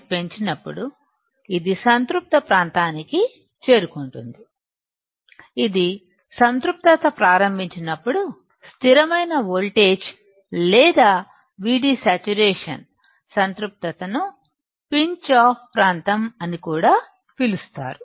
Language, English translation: Telugu, For constant V G S when we increase V D S, it will reach to a saturation region; when it starts saturating, the constant voltage or V D saturation, it also called the Pinch off region